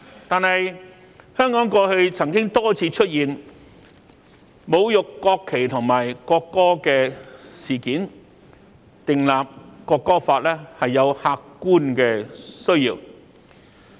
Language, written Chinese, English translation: Cantonese, 但是，香港過去曾多次出現侮辱國旗和國歌的事件，《國歌法》立法是有客觀的需要。, However as several incidents have occurred in which the national flag and the national anthem were insulted there is an objective need to legislate on the National Anthem Law